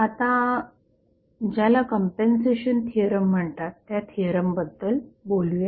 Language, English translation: Marathi, Now, let us talk about another theorem, which is called as a compensation theorem